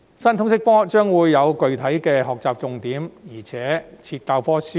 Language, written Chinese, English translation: Cantonese, 新通識科將會有具體的學習重點，而且設有教科書。, The new LS subject will have specific learning focus and textbooks